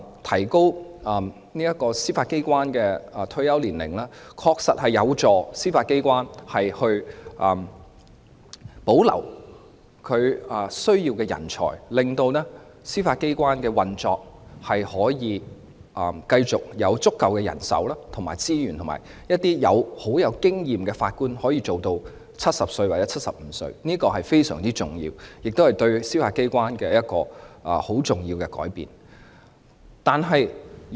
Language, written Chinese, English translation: Cantonese, 提高司法機關人員的退休年齡，確實有助司法機關保留所需的人才，讓司法機構能有足夠的人手和資源繼續運作，並讓具豐富經驗的法官可以繼續工作至70歲或75歲，這是非常重要的，亦是對司法機關很重要的改變。, Extending the retirement age of Judicial Officers will indeed help to retain the necessary talent in the Judiciary so that it will have sufficient manpower and resources for its continual operation; and experienced judges can continue to work until 70 or 75 . This is a very important measure and will have significant changes in the Judiciary